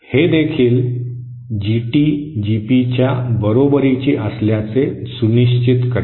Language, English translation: Marathi, This will also ensure that GT is equal to GP